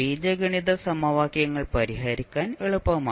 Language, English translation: Malayalam, The algebraic equations are more easier to solve